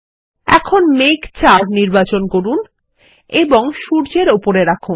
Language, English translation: Bengali, Now, lets select cloud 4 and place it over the sun